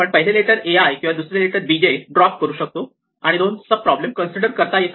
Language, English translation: Marathi, We could either drop the first letter a i or the second letter b j, and then we have to consider two sub problems